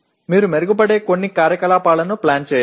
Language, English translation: Telugu, You have to plan some activities that will improve